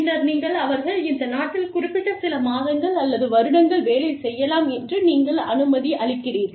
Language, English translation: Tamil, And then, they say, okay, you can work in this country, for these many months, or years, or whatever